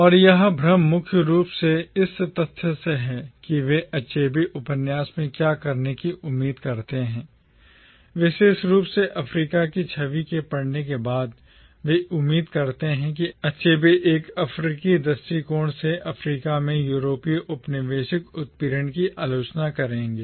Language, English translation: Hindi, And the confusion tends primarily from the fact that, what they expect Achebe to do in the novel, especially after their reading of “Image of Africa” is, they expect Achebe to criticise European colonial oppression in Africa from an African’s standpoint